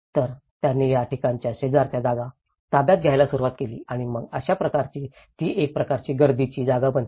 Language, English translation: Marathi, So, they started occupying next to that places and then that is how it becomes a kind of crowded space